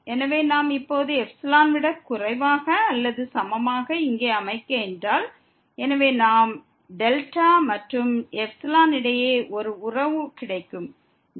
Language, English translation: Tamil, So, if we set here less than or equal to epsilon now, so we get a relation between delta and epsilon